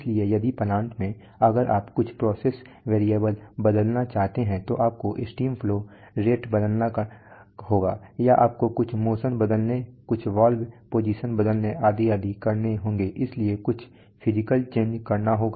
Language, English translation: Hindi, So before giving to the plant in the plant if you want to change some process variable you have to cause steam flow rate change, or you have to cause some motion change, some valve position change etc, etc so some physical change has to occur